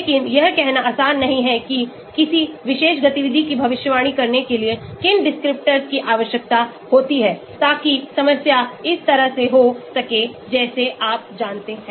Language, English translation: Hindi, but it is not so easy to say which descriptors are needed to predict a particular activity, so that problem can happen like this you know